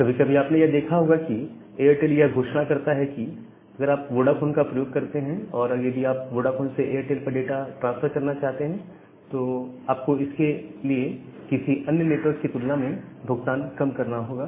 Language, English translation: Hindi, So, sometime you have seen that well Airtel announces that well if you use Vodafone and if you try to transfer data from Vodafone to Airtel you will have a lower charge compared to if you try to use some other network